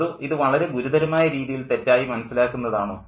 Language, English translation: Malayalam, So, or is it a serious misreading or is it a deliberate misreading